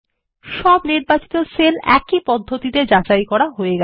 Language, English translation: Bengali, All the selected cells are validated in the same manner